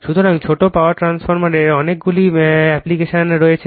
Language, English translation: Bengali, So, small power transformer have many applications